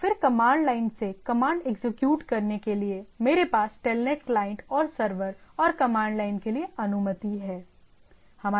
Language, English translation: Hindi, So, and then to execute commands from the command line so, I have a Telnet client and server and a allowed to the command to the command line